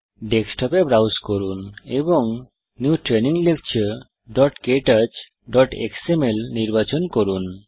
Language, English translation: Bengali, Browse to the Desktop and select New Training Lecture.ktouch.xml